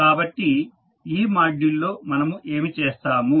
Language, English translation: Telugu, So, what we will do in this module